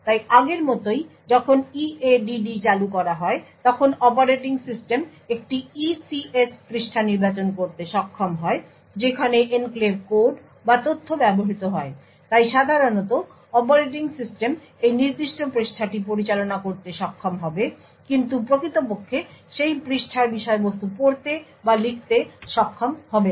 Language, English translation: Bengali, So as before when EADD is invoked the operating system would is capable of selecting a particular ECS page where the enclave code or data is used, so typically the operating system would be able to manage this particular page but would not be able to actually read or write the contents of that page